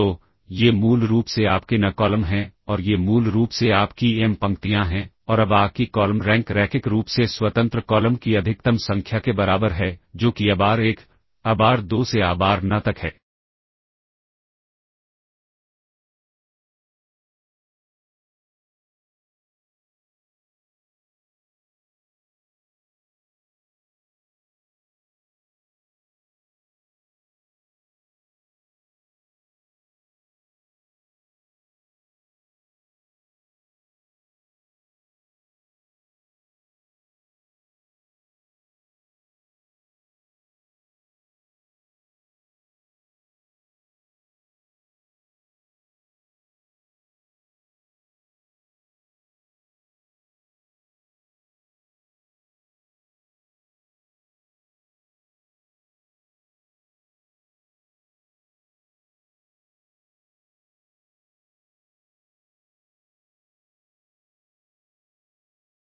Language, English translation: Hindi, So, these are basically your n columns and these are basically your m rows and now column rank of A equals the maximum number of linearly independent columns that is abar1, abar2 up to abarn